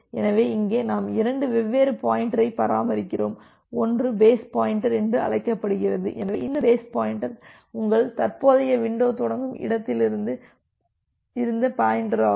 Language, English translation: Tamil, So, here we maintain two different pointer so, one is called the base pointer so, this base pointer is the pointer from where your current window starts